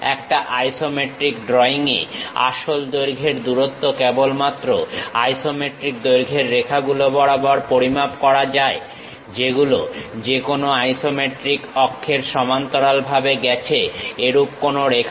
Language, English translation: Bengali, In an isometric drawing, true length distance can only be measured along isometric lengths lines; that is lines that run parallel to any of the isometric axis